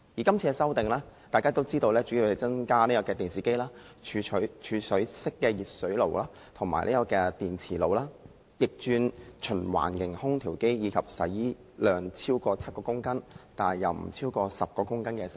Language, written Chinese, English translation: Cantonese, 今次的修訂主要是把電視機、儲水式電熱水器、電磁爐、逆轉循環型空調機及洗衣機納入強制性標籤計劃。, This amendment exercise mainly seeks to include televisions storage type electric water heaters induction cookers room air conditioners of reverse cycle type and washing machines in MEELS